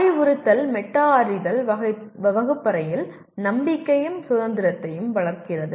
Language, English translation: Tamil, Instruction metacognition fosters confidence and independence in the classroom